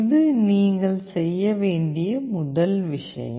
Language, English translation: Tamil, This is the first thing you need to do